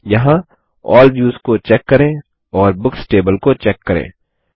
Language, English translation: Hindi, Here, let us check All Views and check the Books table